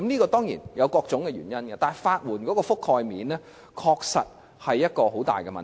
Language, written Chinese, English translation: Cantonese, 這當然有各種原因，但法援的覆蓋面確實是很大的問題。, This is of course due to various reasons but the coverage of legal aid is indeed a major problem